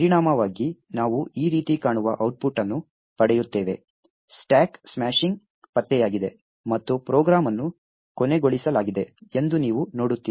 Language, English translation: Kannada, As a result, we will get an output which looks like this, you see that there is a stack smashing detected and the program is terminated